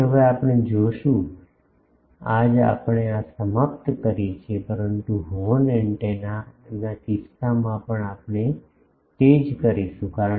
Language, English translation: Gujarati, So, now we will see, to today we are concluding this, but we will do the same thing in case of other things, the horn antennas